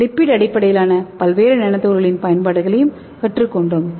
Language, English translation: Tamil, And also we are going to see various applications of lipid based nanoparticles